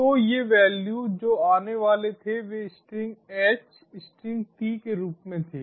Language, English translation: Hindi, these values which were incoming, it were in the form of string h, commastring t